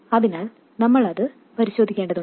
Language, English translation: Malayalam, So we have to to check that as well